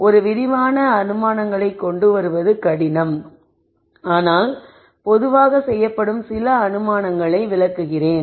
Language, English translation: Tamil, To come up with a comprehensive set of assumptions is difficult, but let me explain some of the assumptions that are generally made